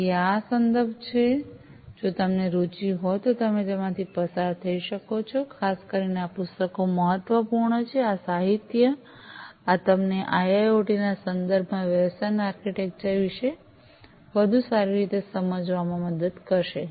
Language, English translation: Gujarati, So, these are these references if you are interested you may go through them particularly these books are important this literature this will help you to have better understanding about the business architecture, in the context of IIoT and so on